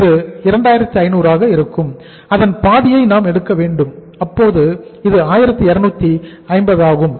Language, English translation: Tamil, This will look like uh this will be somewhere uh 2500 and we have to take the half of it so it is 1250